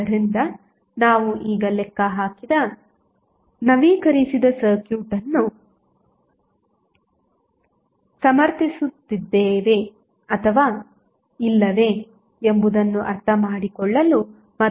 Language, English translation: Kannada, So, let us now try to understand and derive whether the updated circuit which we have just calculated justifies the claim or not